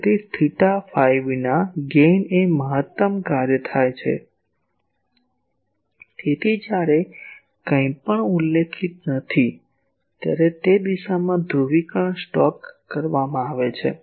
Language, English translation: Gujarati, So gain without theta phi means in a maximum of that function; so, in that direction the polarisation is stocked when nothing is specified